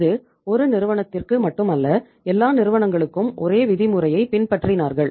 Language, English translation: Tamil, It was not for 1 company, all the companies were following the same norm